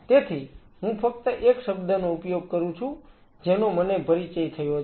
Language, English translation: Gujarati, So, I am just using a word which I have been introduced